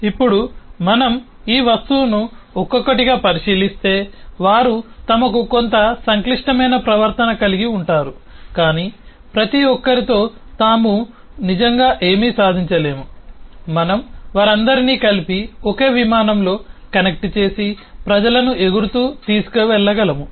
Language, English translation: Telugu, now if we look into this object individually, they themselves have some complex behavior, but with each by themselves do not really achieve anything till we put them all together, connect them all together into a single airplane which can fly and carry people